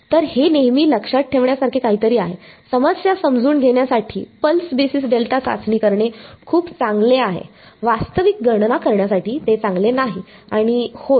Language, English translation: Marathi, So, this is something to always keep in mind pulse basis delta testing is very good for understanding a problem, it is not good foRactual calculations and yeah